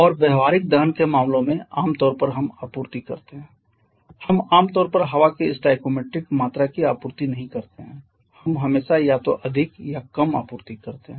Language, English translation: Hindi, And in practical combustion cases generally we supply either we it is we generally do not supply exactly the stoichiometry quantity of air we always supply either more or less